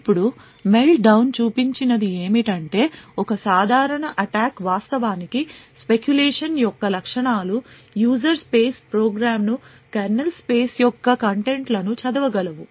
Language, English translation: Telugu, Now what Meltdown showed is that with a simple attack exploiting that features of what speculation actually provides a user space program would be able to read contents of the kernel space